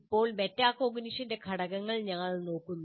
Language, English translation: Malayalam, Now we look at the elements of metacognition